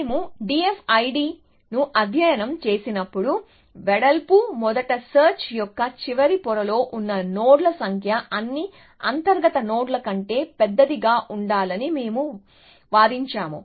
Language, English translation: Telugu, So, when we studied D F I D, we had argued that the number of nodes in the last layer of breadth first search by itself was must larger than all the internal nodes seen